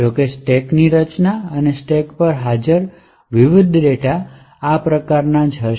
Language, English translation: Gujarati, However the structure of the stack and the relativeness of the various data are present on the stack would be identical